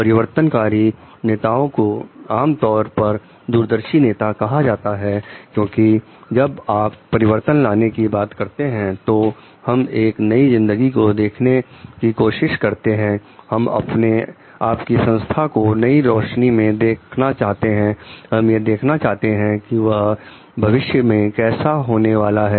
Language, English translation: Hindi, Transformation leaders, are generally called to be visionary leaders because when you are talking of transformation changes, we are trying to see a new life we want to see your organization in a new light, we want to see it how it is going to be there in future